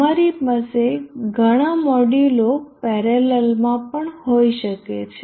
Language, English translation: Gujarati, You can also have many modules in parallel